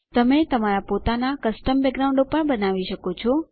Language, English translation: Gujarati, You can even create your own custom backgrounds